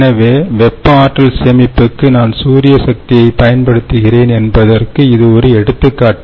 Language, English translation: Tamil, so this is one example where i am using solar power with thermal energy storage